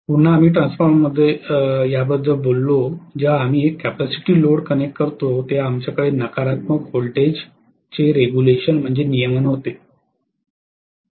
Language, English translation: Marathi, Again we talked about this in transformer when we connect a capacitive load we had negative voltage regulation right